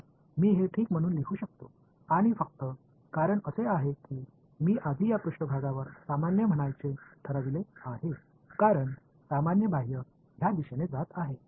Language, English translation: Marathi, So, I can write this as ok, and only reason is because I had earlier decided to call the normal to this surface as this normal going outward is in this direction